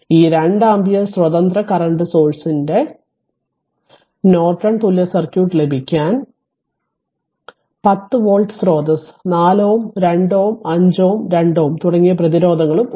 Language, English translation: Malayalam, So, we have to get the Norton equivalent circuit of this one 2 ampere independent source is there and a 10 volt source is there at 4 ohm 2 ohm 5 ohm and 2 ohm resistance are there